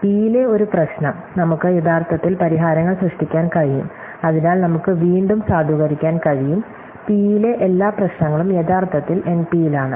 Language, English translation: Malayalam, A problem in P, we can actually generate the solutions, so we can validate again and therefore, every problem in P is actually in NP